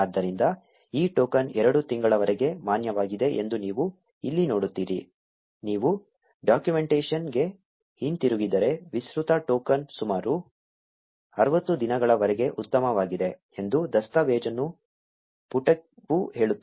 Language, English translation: Kannada, So, you see here that this token is valid for two months If you go back to the documentation, this is where the documentation page also says that the extended token is good for about 60 days